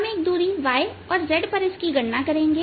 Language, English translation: Hindi, we'll calculated at a distance, y and z